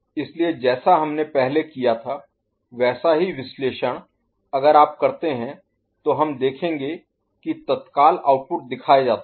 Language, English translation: Hindi, So, similar analysis like what we had done before, if you do we shall see that and the immediate outputs are shown